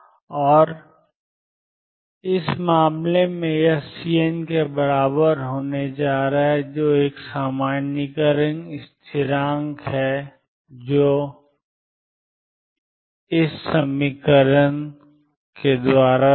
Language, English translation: Hindi, And in this case this is going to be equal to C n which is a normalization constant 3 over 4 sin pi x over L e raise to minus i E 1 t over h cross minus 1 4th sin 3 pi x over L e raise to minus i E 3 t over h cross